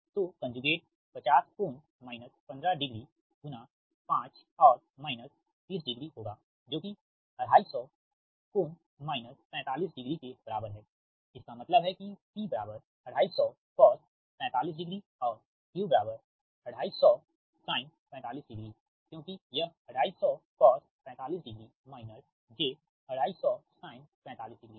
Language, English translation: Hindi, fifty angle minus forty five degree, that means p is equal to two fifty cos forty five degree and q is equal to two fifty sin forty five degree